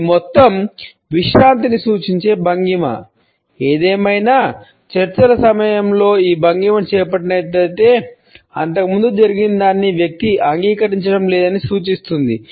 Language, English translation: Telugu, It is also a posture which suggest a total relaxation; however, during discussions if this posture has been taken up, it suggests that the person is not accepting something which is happened earlier